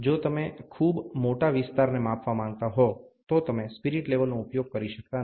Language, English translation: Gujarati, If you want to measure a very large area, then you cannot use a spirit level